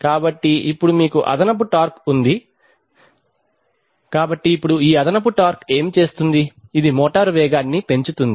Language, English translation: Telugu, So now you have extra torque so now this extra torque will do what, it will increase the speed of the motor